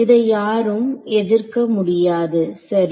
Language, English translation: Tamil, So, no one can object to this right